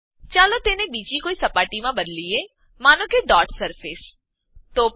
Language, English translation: Gujarati, Let us change it to another surface, say, Dot Surface